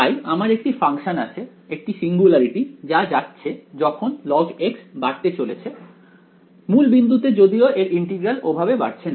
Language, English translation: Bengali, So, I have a function a singularity which is going as log x what is blowing up at the origin even its integral does not go ok